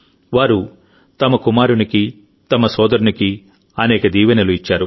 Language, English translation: Telugu, They have given many blessings to their son, their brother